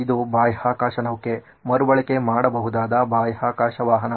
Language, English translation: Kannada, This is a space shuttle, a reusable space vehicle